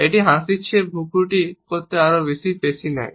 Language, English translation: Bengali, It really does take more muscles to frown than it does to smile